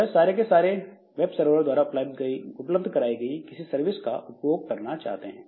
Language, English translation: Hindi, But it is accessing all of them, they are using some services which are provided by the web server